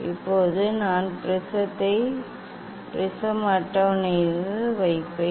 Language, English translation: Tamil, Now, I will put the prism on the prism table